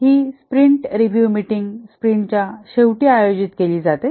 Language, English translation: Marathi, The sprint review meeting, this is conducted at the end of the sprint